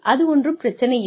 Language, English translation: Tamil, That is perfectly fine